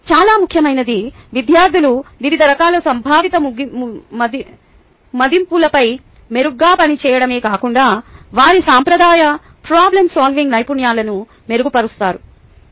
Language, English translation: Telugu, most important, students not only perform better on a variety of conceptual assessments, but improve their traditional problem solving skills